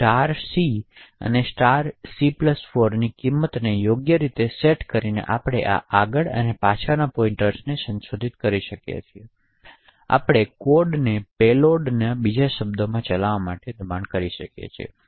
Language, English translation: Gujarati, So by appropriately setting values of *c and *(c+4) we can modify these forward and back pointers and we could force the code to run a specific payload in other words we can actually force and exploit to execute